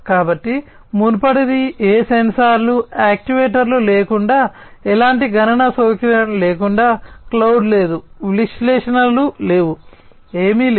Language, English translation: Telugu, So, the previous one was without any sensors, actuators, without any kind of computational facility, no cloud, no analytics, nothing